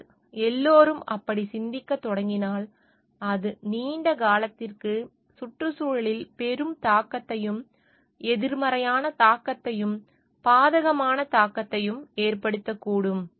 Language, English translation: Tamil, But, if everybody starts thinking in that way, then it may have a major impact, negative impact, adverse impact on the environment in the long run